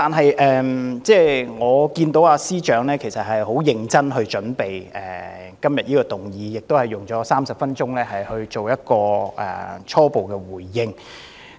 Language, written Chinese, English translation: Cantonese, 然而，我看到司長很認真地為這項議案做好準備，亦用了30分鐘作出初步回應。, Nevertheless I saw that the Chief Secretary of Administration had seriously made good preparations for this motion and spent 30 minutes giving his initial response